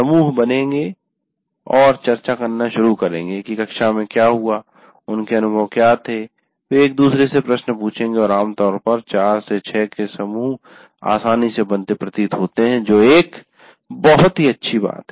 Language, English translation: Hindi, Groups will form and start discussing what has happened in the class, what was their experiences, they will ask each other questions and generally groups of four, five, six seem to be readily forming in that, which is a very healthy thing